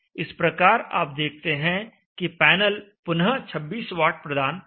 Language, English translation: Hindi, So you see here that the panel is now back to supplying 26 vats